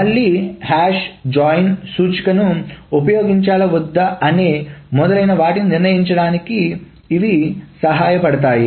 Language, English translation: Telugu, Again this helps to decide whether to use the index for hash join and etc